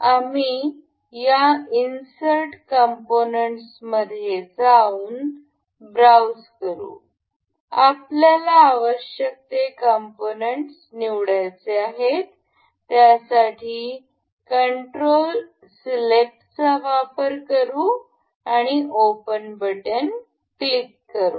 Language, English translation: Marathi, We will go on we have to go on this insert component then go to browse, we have to select the parts we have been we will control select all the parts and click open